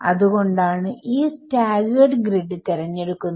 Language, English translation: Malayalam, So, that is the reason why this staggered grid is chosen